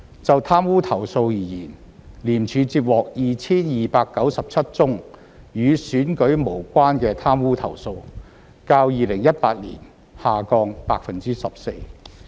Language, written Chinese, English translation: Cantonese, 就貪污投訴而言，廉署接獲 2,297 宗與選舉無關的貪污投訴，較2018年下降 14%。, As for corruption complaints ICAC received a total of 2 297 non - election - related corruption complaints in 2019 representing a decrease of 14 % compared to 2018